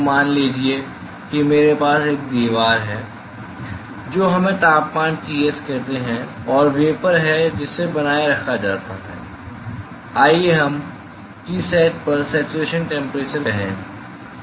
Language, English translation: Hindi, So, suppose I have a a wall which is at a let us say temperature Ts, and there is vapor which is maintained let us say at Tsat, at the saturation temperature